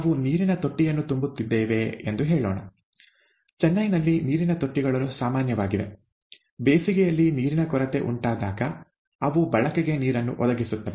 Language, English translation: Kannada, Let us say that we are filling a water tank; water tanks are quite common in Chennai in summer, they provide water for use when water scarcity sets in